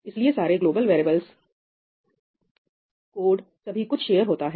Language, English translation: Hindi, So, all the global variables, the code everything is shared